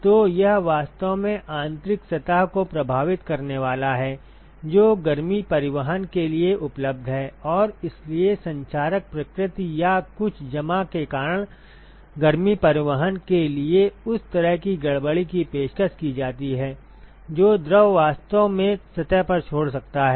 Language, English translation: Hindi, So, it is really going to affect the interior surface, which is available for heat transport and so, that kind of disturbance that is offered for the heat transport because of corrosive nature or some deposit that the fluid might actually leave on the surface